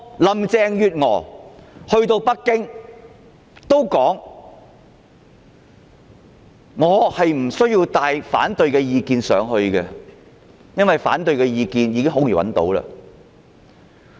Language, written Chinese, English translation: Cantonese, 林鄭月娥前往北京時，說她不需要帶同反對意見，因為反對意見很容易便能找到。, When Carrie LAM went to Beijing she said there was no need to bring along the opposing views because such views can easily be found